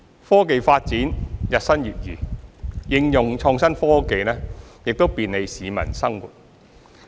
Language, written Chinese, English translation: Cantonese, 科技發展日新月異，應用創新科技亦便利市民生活。, With the rapid technological advancement the application of innovative technologies will also bring convenience to peoples lives